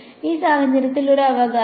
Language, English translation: Malayalam, a in this case a right